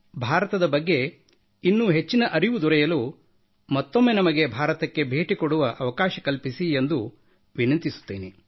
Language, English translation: Kannada, I request that we be given the opportunity to visit India, once again so that we can learn more about India